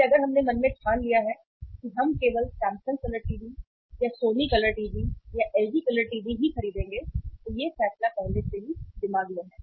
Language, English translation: Hindi, So if we have decided in the mind that we will buy only a Samsung colour TV or a Sony colour TV or the LG colour TV that decision is already there in the mind right